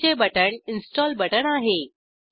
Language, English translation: Marathi, The plus button is the install button